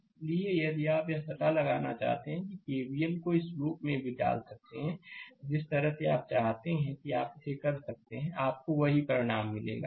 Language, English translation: Hindi, So, similarly, if you want to find out, we can put K V L in the in this loop also, the way you want you can do it, you will get the same result